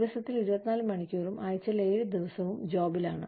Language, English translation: Malayalam, On the job, 24 hours a day, 7 days a week